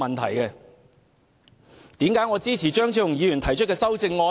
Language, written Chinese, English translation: Cantonese, 為何我支持張超雄議員提出的修正案呢？, Why do I support Dr Fernando CHEUNGs amendments?